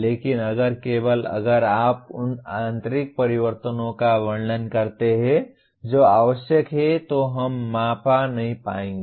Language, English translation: Hindi, But if only if you describe the internal changes that are required we will not be able to measure